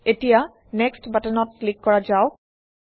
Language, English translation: Assamese, Now let us click on the Next button